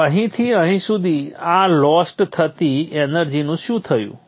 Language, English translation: Gujarati, So what has happened to all this energy lost from here to here